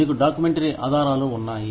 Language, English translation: Telugu, You have documentary evidence